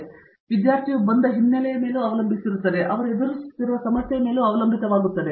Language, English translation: Kannada, It depends on the background the student comes from and depends on the problem that he is tackling